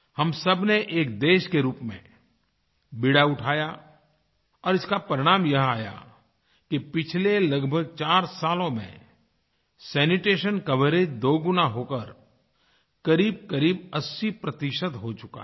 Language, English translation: Hindi, All of us took up the responsibility and the result is that in the last four years or so, sanitation coverage has almost doubled and risen to around 80 percent